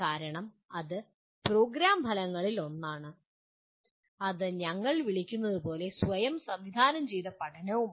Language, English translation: Malayalam, Because that is one of the program outcomes as well that is self directed learning as we call